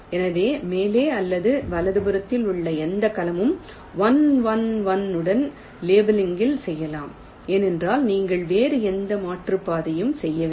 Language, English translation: Tamil, so any cell to the top or right, you can go on labeling with one one one, because you are not making any other detour